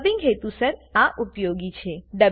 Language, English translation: Gujarati, This is useful for dubbing purposes